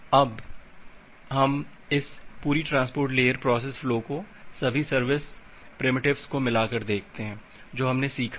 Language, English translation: Hindi, Now, let us look in to this entire transport layer process flow by combining all the service primitives that we have learned